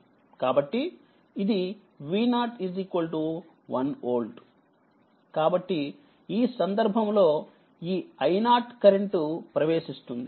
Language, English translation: Telugu, So, this is V 0 is equal to 1 volt right so, in this case this i 0 current is entering